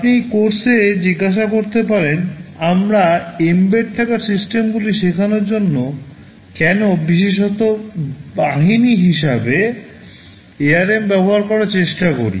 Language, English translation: Bengali, You may ask in this course why are you we specifically trying to use ARM as the vehicle for teaching embedded systems